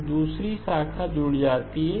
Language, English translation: Hindi, So the second branch gets added